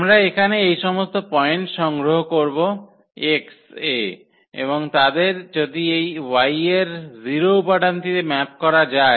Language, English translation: Bengali, We will collect all these points here in X and if they map to this 0 element in Y